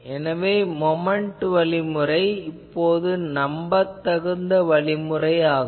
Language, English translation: Tamil, And so moment method has now become an authentic method